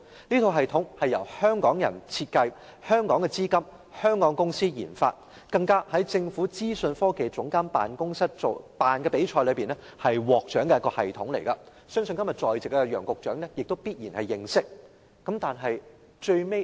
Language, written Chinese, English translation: Cantonese, 這套系統由香港人設計，資金來自香港，由香港公司研發，更是在政府資訊科技總監辦公室舉辦的比賽中獲獎的系統，相信今天在席的楊局長也必然認識。, The system is designed by Hongkongers with Hong Kong funds developed by a Hong Kong company and has won an award in a competition hosted by the Office of the Government Chief Information Officer . I believe Secretary Nicholas W YANG in the Chamber today must know about the system . Yet the residential care home cannot use the system in the end